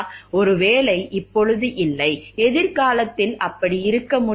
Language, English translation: Tamil, Maybe not now, can they be so in future